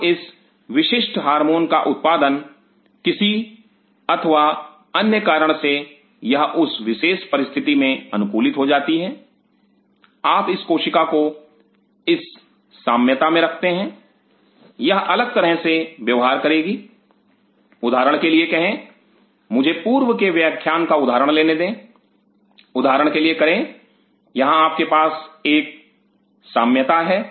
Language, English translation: Hindi, Now this particular hormone production for some reason or other it is adapted in that particular milieu you keep this cell out in this milieu it will behave differently say for example, let me pick up that previous class example previous say for example, here you have a milieu